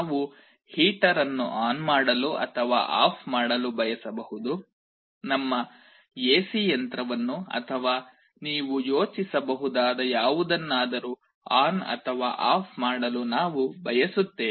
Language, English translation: Kannada, We may want to turn on or turn off a heater, we want to turn on or turn off our AC machine or anything you can think of